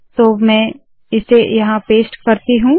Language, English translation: Hindi, So let me paste it here